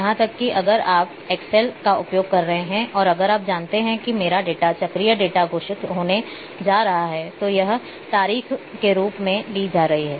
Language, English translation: Hindi, Even if you are using excel and if you know that my data is going to be cyclic data declare as that it is going to be the date